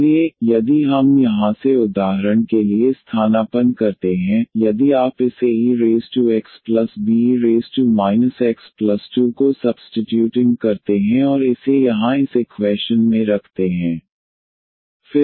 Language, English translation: Hindi, So, if we substitute for example from here, if you substitute this a e power x plus be power minus x and put it here in this equation